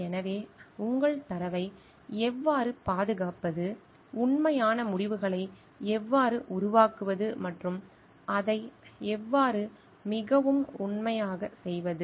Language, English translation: Tamil, So, how to safeguard your data, how to produce actual results and how to be doing it in a more truthful way